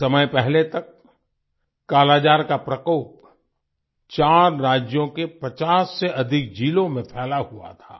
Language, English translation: Hindi, Till recently, the scourge of Kalaazar had spread in more than 50 districts across 4 states